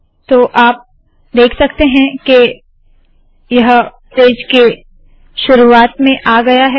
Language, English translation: Hindi, So it has also been put at the top of this page